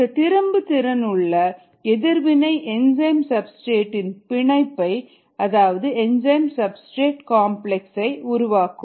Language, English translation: Tamil, this is the reversible reaction to form an enzyme substrate complex and this reaction is fast